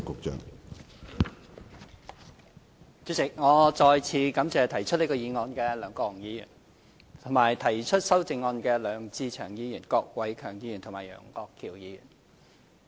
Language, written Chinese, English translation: Cantonese, 主席，我再次感謝提出這項議案的梁國雄議員，以及提出修正案的梁志祥議員、郭偉强議員和楊岳橋議員。, President once again I thank Mr LEUNG Kwok - hung for moving this motion and Mr LEUNG Che - cheung Mr KWOK Wai - keung and Mr Alvin YEUNG for proposing the amendments